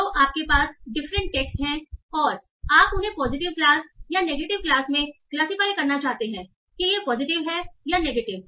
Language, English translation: Hindi, So you are having different text and you want to classify them into either positive class or negative class, whether this is positive or negative